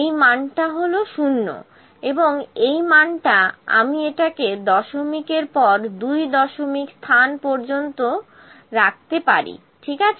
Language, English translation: Bengali, This value is there this value is 0, and this value I can this bring it to the second place of decimal, ok